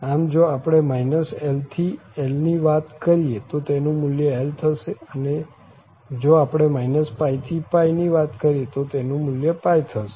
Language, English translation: Gujarati, So, if we are talking about minus l to l so the value will be l or we are talking about minus pi to pi the value will be pi, this is what we have seen